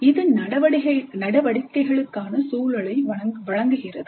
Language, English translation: Tamil, This provides the context for the activities